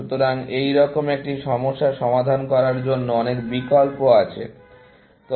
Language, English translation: Bengali, So, to solve a problem like this, there are many options